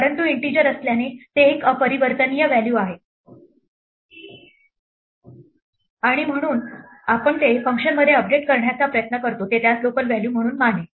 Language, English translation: Marathi, But being an integer it is an immutable value and therefore we try to update it inside the function it will treat it as a local value